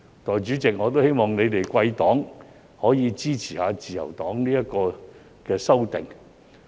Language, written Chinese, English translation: Cantonese, 代理主席，我希望貴黨可以支持自由黨的修訂。, Deputy Chairman I hope that your party can support the Liberal Partys amendments